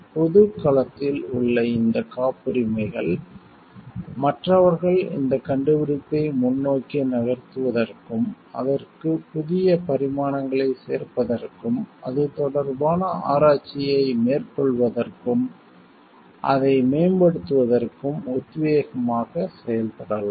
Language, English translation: Tamil, And these patents in public domain, may acts in may act as inspiration for others to move with this invention forward, add new dimensions to it, and take up a research regarding it and improve in that